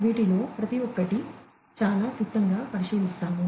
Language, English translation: Telugu, We will look at each of these very briefly